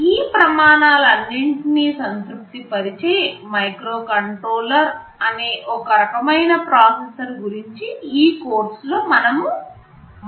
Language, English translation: Telugu, There is some kind of processor called microcontroller that we shall be talking about throughout this course, they satisfy all these criteria